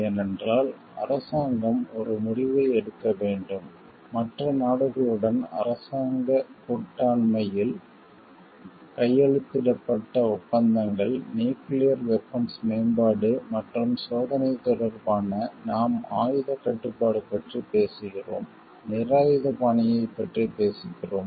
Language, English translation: Tamil, Because, government has to take a decision alliances government partnership with other countries in the form of any treaties signed, with respect to nuclear weapons developments and testing, we were talking of arms control, we are talking of disarmament